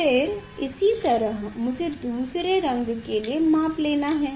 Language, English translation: Hindi, Then, similarly I have to find out for the other color